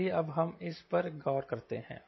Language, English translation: Hindi, let us look into that